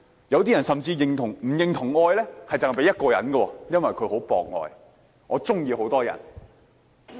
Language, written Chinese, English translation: Cantonese, 有些人甚至不認同只應該把愛給予一個人，因為他很博愛，會喜歡很多人。, Some people even do not think that their love should be confined to only one person because they are polyamorists in romantic relationships with many people